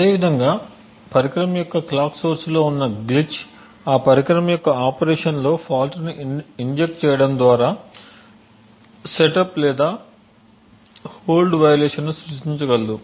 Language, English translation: Telugu, Similarly a glitch in the clock source for the device can create a setup or a hold violation injecting a fault into the operation of that device